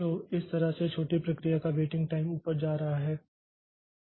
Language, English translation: Hindi, So, that way the waiting time of this short process will be going up